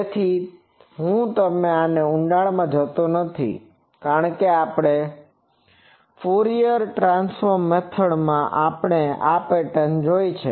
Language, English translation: Gujarati, So, I am not gone into details because by the Fourier transform method also we have seen this pattern